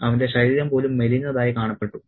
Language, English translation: Malayalam, And even physically he becomes emaciated